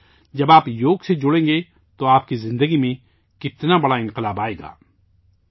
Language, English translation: Urdu, See, when you join yoga, what a big change will come in your life